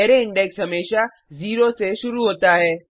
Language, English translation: Hindi, Array index starts from zero always